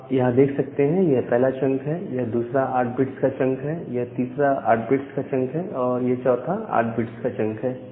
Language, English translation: Hindi, So, this is the first chunk, this is the it is a second 8 bit chunk, this is the third 8 bit chunk, and this is the fourth 8 bit chunk